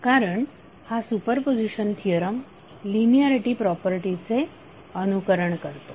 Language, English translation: Marathi, Because this super position is following the linearity property